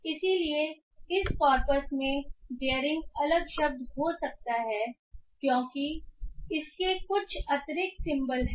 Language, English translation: Hindi, So in this corpus maybe the daering might be a separate word than this word because it has some extra symbols in it